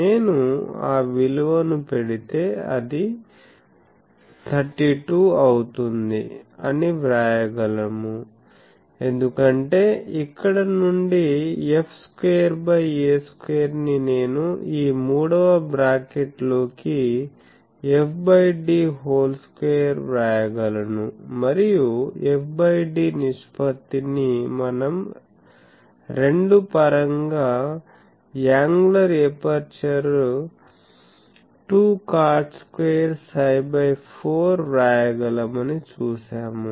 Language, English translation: Telugu, So, putting that we can write that this 32 because f square by a square from here I can write f by d square into this third bracket as it is and that f by d ratio we have seen that that can be written as 2 in terms of the angular aperture 2 cot square phi by 4 into this